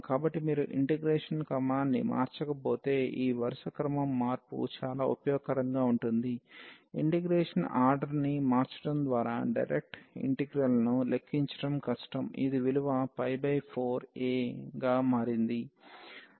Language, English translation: Telugu, So, this change of order was very useful if you would have not change the order of integration, the direct integral was difficult to compute purchase by changing the order of integration it has become trivial and we got the value as this pi by 4 a